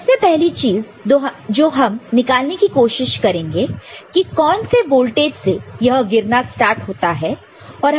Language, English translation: Hindi, So, the first thing that we shall try to get is what at which voltage, at which voltage this fall starts occurring right